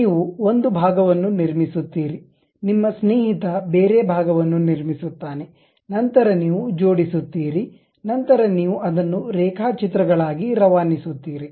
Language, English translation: Kannada, You construct one part, your friend will construct some other part, then you will assemble the joint, then you will pass it as drawings